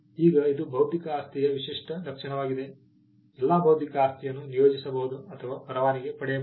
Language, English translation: Kannada, Now this is a distinguishing feature of intellectual property, that all intellectual property can be assigned or licensed